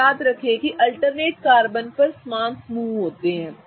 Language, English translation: Hindi, Now remember that the alternating carbons have the same groups going up